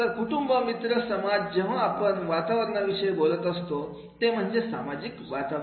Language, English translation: Marathi, Family, friends and society when we talk about the environment, social environment